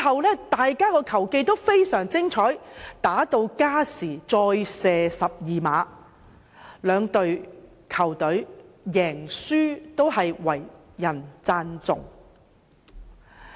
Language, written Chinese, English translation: Cantonese, 兩隊的球技都十分精湛，踢至加時再射12碼，不論贏輸也為人稱頌。, Both teams had superb skills and the match went to penalty shoot - out after extra time . Whether victory or defeat both teams deserved praises